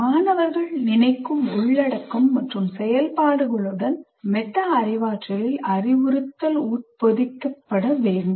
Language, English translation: Tamil, Now, instruction in metacognition should be embedded in the with the content and activities about which students are thinking